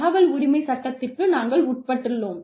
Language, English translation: Tamil, We are subject to, the right to information